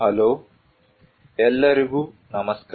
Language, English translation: Kannada, Hello, hi everyone